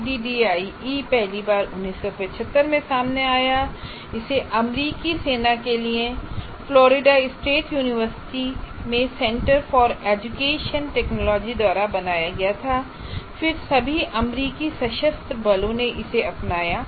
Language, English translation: Hindi, ADI first appeared in 75 and you should remember it was created by the Center for Education Technology at Florida State University for the US Army and then quickly adopted by all the US Armed Forces